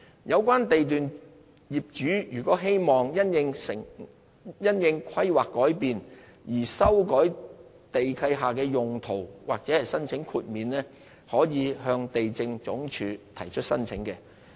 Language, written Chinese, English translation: Cantonese, 有關地段業主如希望因應規劃改變而修改地契下的土地用途或申請豁免，可以向地政總署提出申請。, Should the owners wish to amend the land use of the lease or apply for a waiver in response to the changes in planning they may submit an application to LandsD